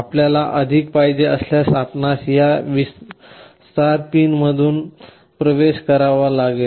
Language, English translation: Marathi, If you want more you will have to access them from these extension pins